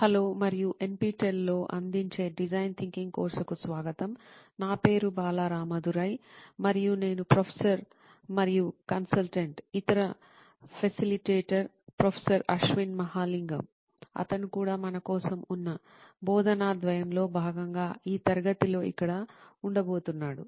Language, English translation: Telugu, Hello and welcome to the design thinking course offered on NPTEL, my name is Bala Ramadurai and I am a professor and consultant, the other facilitator is Professor Ashwin Mahalingam, who is also going to be there as part of the teaching duo that we have for this class